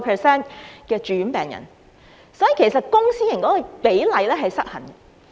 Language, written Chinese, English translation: Cantonese, 所以，問題其實是公私營系統的比例失衡。, Therefore the problem actually lies with the imbalance between the public and private systems